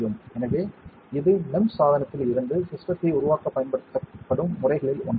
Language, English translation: Tamil, So, this is one system on one of the methods that are used for MEMS device to make systems out of it